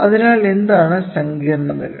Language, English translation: Malayalam, We need so, what are the complexities